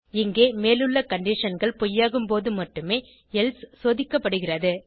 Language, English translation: Tamil, Here else is checked only when above conditions are false